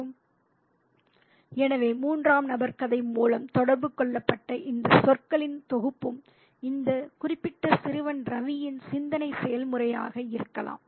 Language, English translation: Tamil, So, this set of words communicated through the third person narrator also could be the thought process of this particular boy, Ravi, who is there